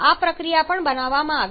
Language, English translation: Gujarati, It is also given here